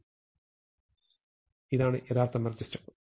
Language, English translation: Malayalam, So, this is the real merge step